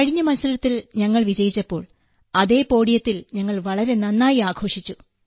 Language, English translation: Malayalam, When we won the fight at the end, we celebrated very well on the same podium